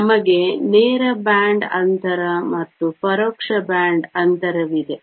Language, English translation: Kannada, We have a direct band gap and indirect band gap